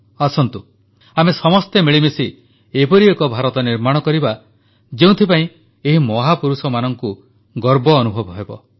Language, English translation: Odia, Come, let us all strive together to build such an India, on which these great personalities would pride themselves